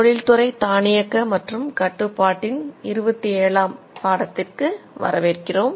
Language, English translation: Tamil, Welcome to lesson 27 of industrial automation and control